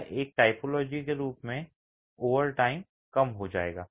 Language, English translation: Hindi, This as a typology is something that over time will reduce